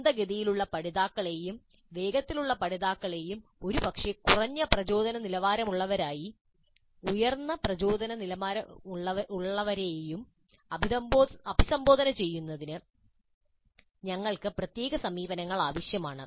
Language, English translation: Malayalam, So we need special approaches to address slow learners as well as fast learners and probably those with low motivation levels and those with high motivation levels